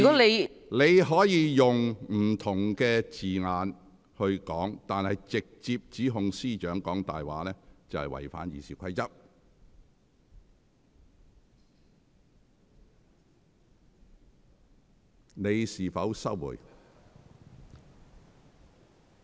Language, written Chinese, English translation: Cantonese, 議員可使用其他措辭來表達，但直接指控司長"講大話"，則已違反《議事規則》。, Members may use other wording for expression but directly accusing the Chief Secretary of lying is in breach of the Rules of Procedure